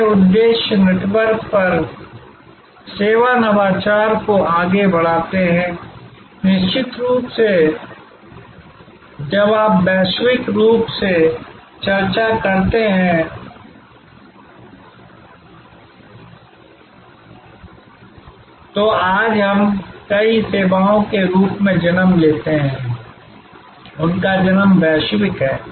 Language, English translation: Hindi, These motives drive the service innovation over network, there are of course, when you go global as we were discussing, many services today as they are born, their born global